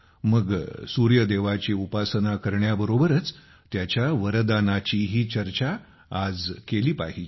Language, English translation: Marathi, So today, along with worshiping the Sun, why not also discuss his boon